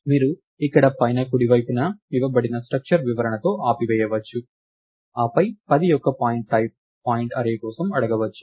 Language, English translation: Telugu, You can just stop with the structure description that is given here on the top, right, and then ask for pointType pointArray of 10